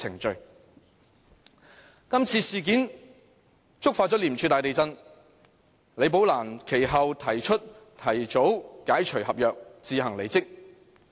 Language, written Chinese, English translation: Cantonese, 這次事件觸發廉署大地震，李寶蘭其後提出提早解除合約，自行離職。, This incident triggered an earthquake in ICAC . Later Rebecca LI offered to resolve her agreement and resigned of her own accord